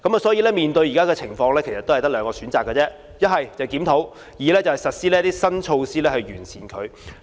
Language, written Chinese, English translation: Cantonese, 所以，面對現在的情況只有兩個選擇，一是檢討；二是實施新措施以作改善。, Hence in view of the present situation there are only two choices . The first one is to conduct a review . The second one is to implement new measures for improvement